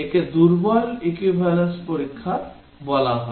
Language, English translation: Bengali, This called as Weak Equivalence Testing